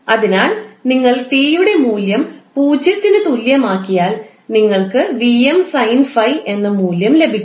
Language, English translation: Malayalam, So, if you put value of t is equal to zero, you will get some value called Vm sine 5